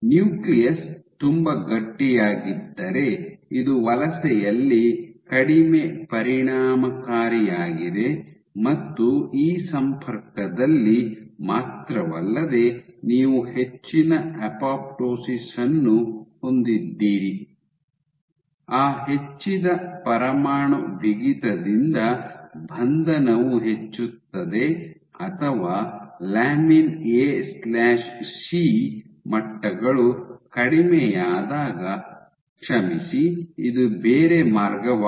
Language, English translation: Kannada, So, if stiff if the nucleus is very stiff then this less efficient in migration and not just this connection you also have higher apoptosis, with that increased nuclear stiffness increased amount of confined confinement or and when lamin A/C levels are low sorry this is the other way around